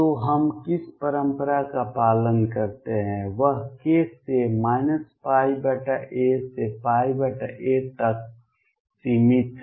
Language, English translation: Hindi, So, what the convention we follow is restrict k to minus pi by a to plus pi by a